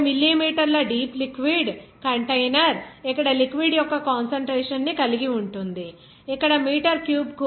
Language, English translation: Telugu, A 50 millimeter deep liquid container that contains liquid of concentration here 0